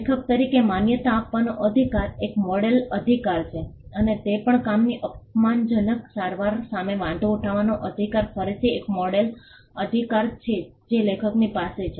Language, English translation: Gujarati, The right to be recognized as the author is a model right and also the right to object to derogatory treatment of the work is again a model right that vests with the author